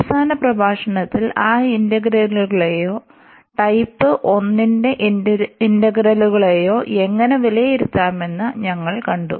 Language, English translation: Malayalam, In the last lecture we have seen how to evaluate those integrals or the integrals of a type 1